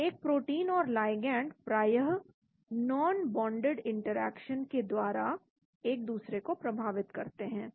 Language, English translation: Hindi, So a protein and ligand interacts generally through non bonded interaction